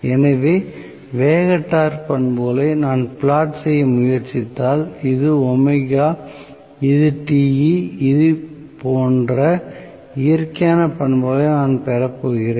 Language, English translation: Tamil, So, if I try to plot, the speed torque characteristics, this is omega, this is Te, so I am going to have may be the natural characteristic somewhat like this